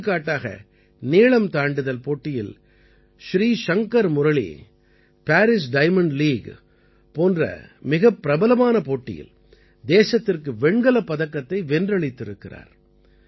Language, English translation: Tamil, For example, in long jump, Shrishankar Murali has won a bronze for the country in a prestigious event like the Paris Diamond League